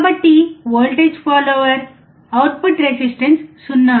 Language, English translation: Telugu, So, output resistance of a voltage follower is 0